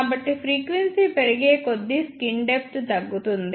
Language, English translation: Telugu, So, as frequency increases, skin depth decreases